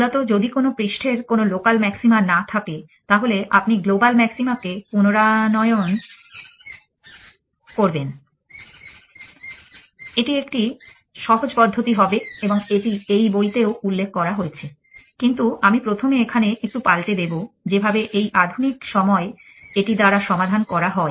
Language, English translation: Bengali, Essentially, if a surface has no local maxima, then you will restore global maxima, so that will a simple approach to and is given in this book which has mention it also given in my book, but, I first edit here which is how to solved by modern in